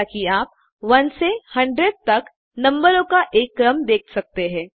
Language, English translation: Hindi, As you can see a sequence of numbers from 1 to 100 appears